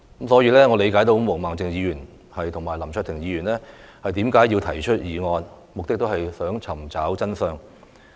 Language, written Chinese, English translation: Cantonese, 所以，我理解毛孟靜議員和林卓廷議員提出議案，目的也是為了查明真相。, Even the Government can do nothing about it . Hence I understand that the purpose of Ms Claudia MO and Mr LAM Cheuk - ting in proposing their motions is to find out the truth